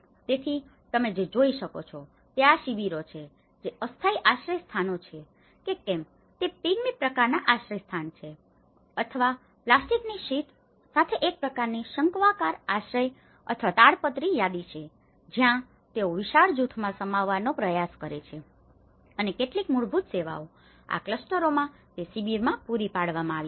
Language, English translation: Gujarati, So, what you can see is this camps which are being a temporary shelters whether it is the Pygmy kind of shelters or a kind of conical shelters with the plastic sheet or the tarpaulin sheets where they try to accommodate in a huge groups and some basic services have been provided in those camps in this clusters